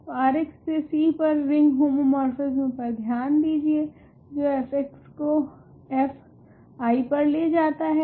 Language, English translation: Hindi, So, consider ring homomorphism from R x to C which takes f x to f i